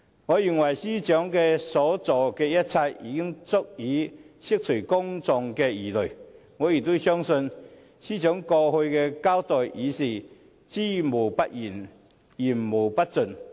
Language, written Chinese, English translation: Cantonese, 我認為司長所做的一切，已經足以釋除公眾的疑慮；我亦相信，司長過去的交代已是"知無不言，言無不盡"。, I think what the Secretary for Justice did could dispel public concerns . I also believe that the account given by the Secretary for Justice previously was candid and comprehensive